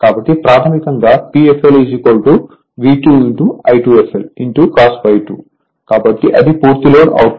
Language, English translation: Telugu, So, basically P f l will be V 2 into I 2 f l into cos phi 2 so, that is your full load output